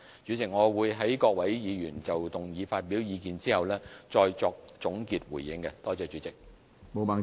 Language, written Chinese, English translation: Cantonese, 主席，我會在各位議員就議案發表意見後再作總結回應，多謝主席。, President I will make a concluding speech after listening to the views expressed by Members on this motion . Thank you President